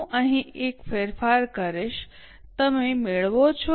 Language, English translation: Gujarati, I will just make a change here